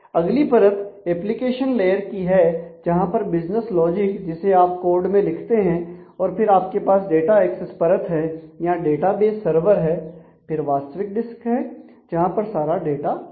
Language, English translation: Hindi, The next is the application layer which is the business logic where you write and then you have the data access layer or the database server and these are the actual disk where the data exist